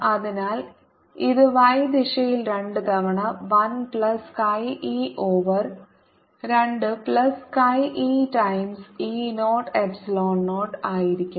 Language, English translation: Malayalam, so this is going to be two times one plus chi e over two plus chi e times e zero, epsilon zero in the y direction